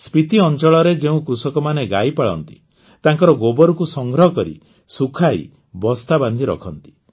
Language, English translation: Odia, Farmers who rear cows in Spiti, dry up the dung and fill it in sacks